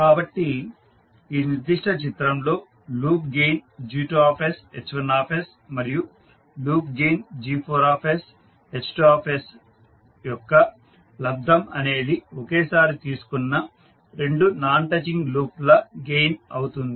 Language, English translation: Telugu, So in this particular figure the product of loop gain that is G2 and H1 and the loop gain G4s2 is the non touching loop gain taken two at a time